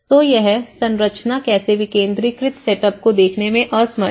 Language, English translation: Hindi, So, this is how the structure has unable to look into a decentralized setup